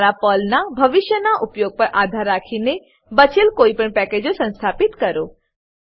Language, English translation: Gujarati, Install any of the missing packages, depending on your future use of PERL